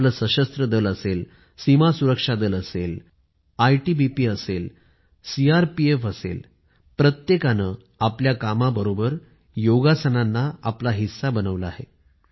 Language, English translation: Marathi, Whether it is our armed forces, or the BSF, ITBP, CRPF and CISF, each one of them, apart from their duties has made Yoga a part of their lives